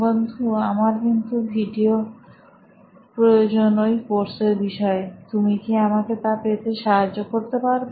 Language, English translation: Bengali, Hey, I need videos for that course, can you help me with that